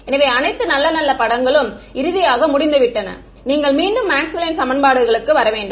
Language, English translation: Tamil, So, all the good nice pictures are done finally, you have to come back to Maxwell’s equations right